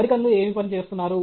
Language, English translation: Telugu, What are the Americans working on